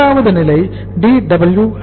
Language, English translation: Tamil, Second stage is Dwip